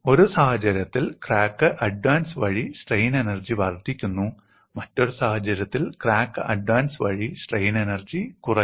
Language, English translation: Malayalam, In one case, the strain energy increases by crack advancement and in another case, strain energy decreases by crack advancement